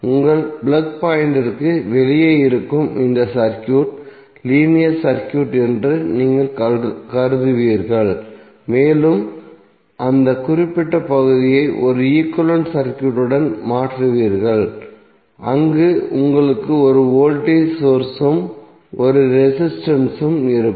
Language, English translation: Tamil, So you will assume that this circuit which is outside your plug point is the linear circuit and you will replace that particular segment with one equivalent circuit where you will have one voltage source and one resistance